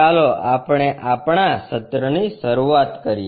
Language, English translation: Gujarati, Let us begin our session